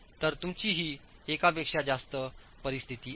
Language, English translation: Marathi, So you have greater than one situation as well